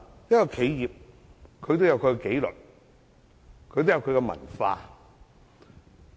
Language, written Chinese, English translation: Cantonese, 任何企業均有其紀律和文化。, All enterprises have their own discipline and culture